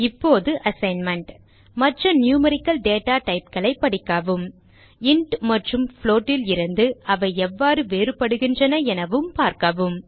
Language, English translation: Tamil, As an assignment for this tutorial, Read about other numerical data types and see how they are different from int and float